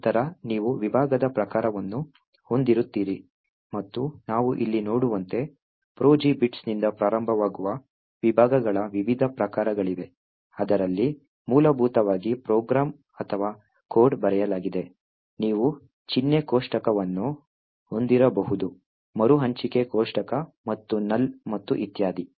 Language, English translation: Kannada, Then you would have the type of the section and as we see over here, there are various types of the section from starting from programming bits which essentially contains the program or the code that was written, you could have symbol table, you have no bits the allocation table and null and so on